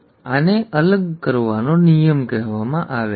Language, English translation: Gujarati, And this is called the law of segregation